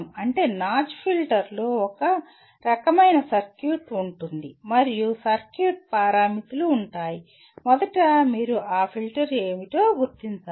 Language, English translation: Telugu, That means notch filter will have a some kind of a circuit and the parameters of the circuit will have, first you have to identify what that filter is